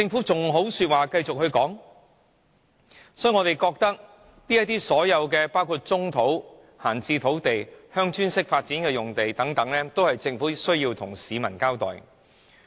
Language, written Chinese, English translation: Cantonese, 所以，我們認為政府對其所有土地，包括棕地、閒置土地、鄉村式發展等用地，均須向市民交代。, Hence we think that the Government should give the public an account of all Government lands including brownfield sites idle land and land zoned for Village Type Development